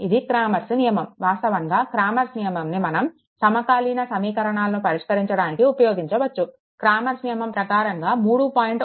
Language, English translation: Telugu, So, cramers rule actually cramers rule can be used to solve the simultaneous equations, according to cramers rule the solution of equation 3